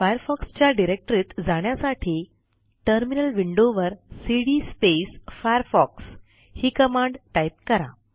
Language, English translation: Marathi, In the Terminal Window go to the Firefox directory by typing the following command cd firefox Now press the Enter key